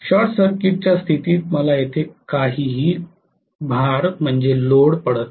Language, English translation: Marathi, Under short condition I am not having any load here